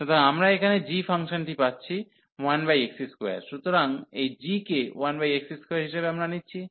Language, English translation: Bengali, So, we got the function here g as 1 over x square, so taking this g as 1 over x square